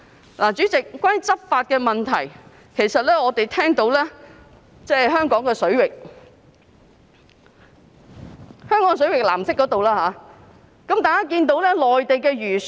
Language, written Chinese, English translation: Cantonese, 代理主席，關於執法問題，我們聽聞有人在香港水域，即藍色範圍，見到內地漁船。, Deputy President regarding law enforcement we heard that some people saw Mainland fishing vessels in Hong Kong waters that means the blue area